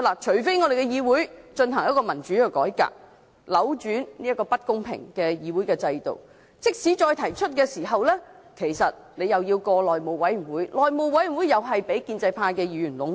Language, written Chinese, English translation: Cantonese, 除非我們的議會進行民主改革，扭轉如此不公平的議會制度；否則，即使再提交呈請書，其實又是交予內務委員會通過，而內務委員會也是被建制派議員壟斷。, Unless our legislature undertakes democratic reform to reverse such an unfair parliamentary system any petitions which are presented thereafter will actually be referred to the House Committee to seek its endorsement . And the House Committee is also predominated by pro - establishment Members